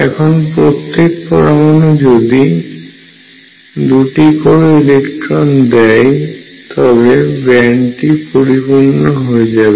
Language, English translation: Bengali, If an atom gives 2 electrons the band will be filled